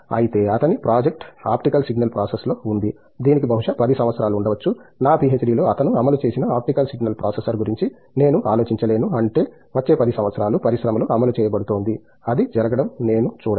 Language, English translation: Telugu, Whereas, his project was on optical signal process, it has probably 10 years into, I mean I cannot think of an optical signal processor which he had implemented in his PhD getting implemented in the industry for next 10 years, I cannot see that happening